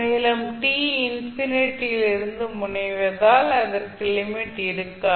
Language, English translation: Tamil, And it will not have limit as t tends to infinity